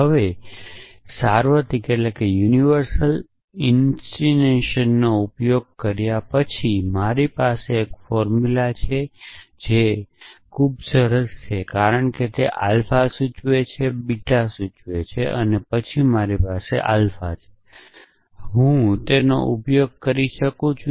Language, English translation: Gujarati, Now, having used universal instantiation I have a formula which is very nice because it is saying alpha implies beta and then I have alpha and I can use which is this essentially